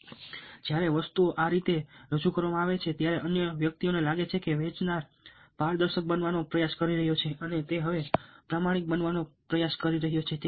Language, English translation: Gujarati, now, when things are presented this way, the other person feels that the seller is trying to be transparent